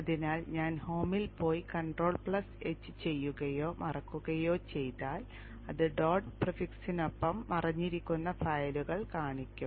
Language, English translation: Malayalam, So if I go into Home and do Control H or alternate hide, it will show the hidden files with the dot prefix